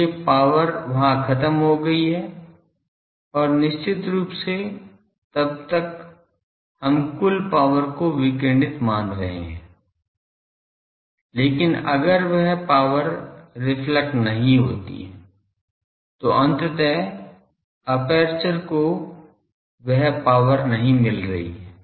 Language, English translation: Hindi, So, power is lost there and definitely then we are assuming total power radiated, but if that power is not reflected so, ultimately aperture is not getting that power